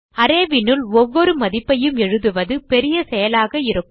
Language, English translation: Tamil, It would be a long process if we have to type each value into the array